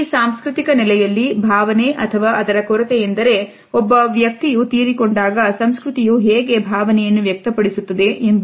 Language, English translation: Kannada, In this cultural setting, the emotion or the lack of it is how that culture expresses emotion when a person passes away